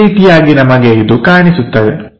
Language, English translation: Kannada, This is the way we will see these things